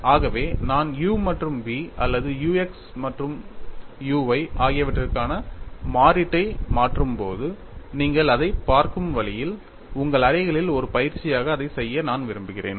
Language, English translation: Tamil, So, now, I know what is f of y and g of x; so when I substitute in the expression for u and v or u x and u y which ever way you look at it, I would like you to do that as an exercise in your rooms